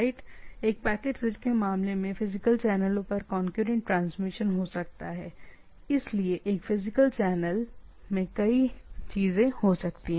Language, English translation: Hindi, In case of a packet switches, may have concurrent transmission over physical channel so one physical channel there can be number of things